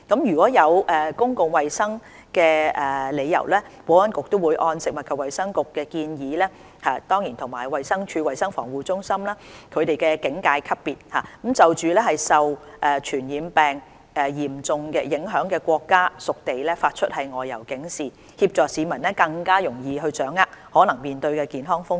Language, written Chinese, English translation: Cantonese, 若有公共衞生理由，保安局會按食物及衞生局建議及衞生署衞生防護中心的警戒級別，就受傳染病嚴重影響的國家/屬地發出外遊警示，以協助市民更容易掌握可能面對的健康風險。, Should there be public health reasons based on the alert level as advised by the Food and Health Bureau and CHP of DH the Security Bureau will issue an OTA on countriesterritories which are seriously affected by infectious diseases to help the public better understand the possible health risks